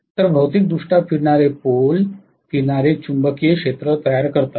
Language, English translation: Marathi, So physically rotating poles creates a revolving magnetic field